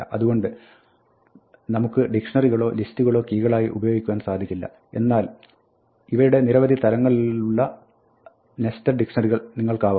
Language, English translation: Malayalam, So, we cannot use dictionaries or list themselves as keys, but you can have nested dictionaries with multiple levels of these